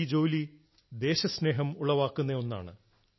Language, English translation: Malayalam, This work is brimming with the sentiment of patriotism